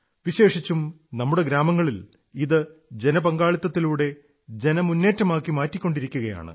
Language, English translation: Malayalam, Especially in our villages, it is being converted into a mass movement with public participation